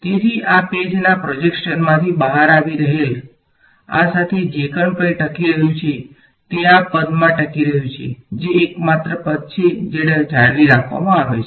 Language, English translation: Gujarati, So, whatever survives along this that is coming out of the plane of this page is surviving in this term that is the only term that is retained ok